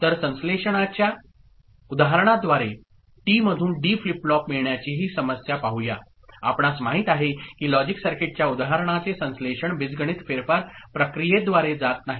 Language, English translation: Marathi, So, let us look at this problem of getting a D flip flop out of T through a synthesis example, you know synthesis of logic circuit example not going through a algebraic manipulation process ok